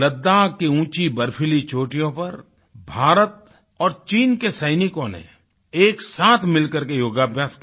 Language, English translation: Hindi, On the snow capped mountain peaks of Ladakh, Indian and Chinese soldiers performed yoga in unison